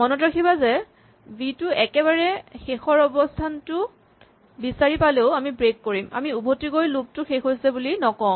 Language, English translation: Assamese, Remember even if v is found at very last position we will first break, we will not go back and say that the loop ended